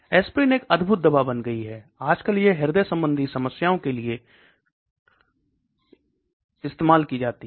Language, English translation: Hindi, Aspirin has become a wonder drug, nowadays it is being used somebody has a problem with cardiovascular problem